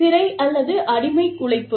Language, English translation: Tamil, Prison or slave labor